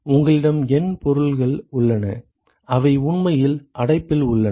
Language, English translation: Tamil, You have N objects which are actually present in the enclosure